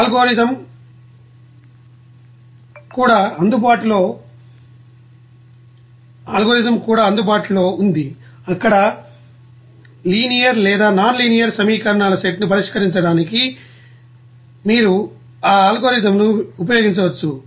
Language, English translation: Telugu, There is the algorithm is available also, you can use that algorithm to solve those you know set of linear or nonlinear equations there